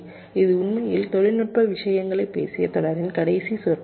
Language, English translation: Tamil, this is actually the last lecture of the series where we talked technical things